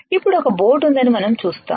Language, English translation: Telugu, Now, we see that there is a boat